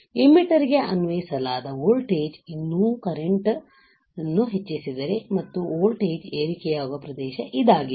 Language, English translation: Kannada, This is the region where if the applied voltage to the emitter still increases the current and the voltage will rise, all right